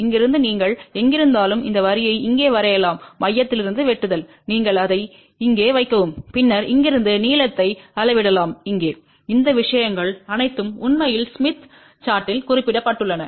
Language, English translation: Tamil, From here you draw the line up to this here wherever it is cutting from the center, you put it over here and then you can measure the length from here to here all these things are actually mentioned on the smith chart